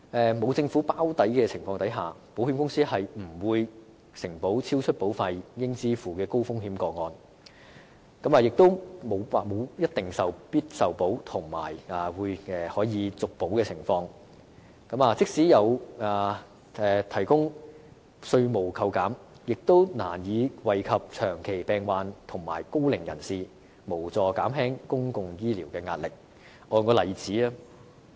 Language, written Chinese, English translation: Cantonese, 在沒有政府"包底"的情況下，保險公司不會承保超出保費應支付的高風險個案，亦沒有必定受保及可續保的承諾，即使政府提供稅務扣減，亦難以惠及長期病患者和高齡人士，無助減輕公共醫療的壓力。, Without the Government playing the role of an underwriter insurers will not provide coverage for high - risk cases in which the risks taken on are in excess of the premium payable and there will not be the undertaking of guaranteed acceptance and renewal . Despite tax concessions provided by the Government it will be difficult for the scheme to benefit the chronically ill and the elderly and so it will not help alleviate the pressure on the public health care sector